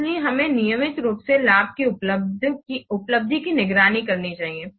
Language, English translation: Hindi, So we have to monitor and control the achievement of the benefits